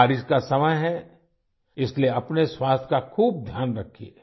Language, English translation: Hindi, It is the seasons of rains, hence, take good care of your health